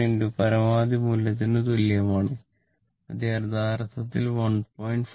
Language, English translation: Malayalam, 707 into maximum value, that is actually 1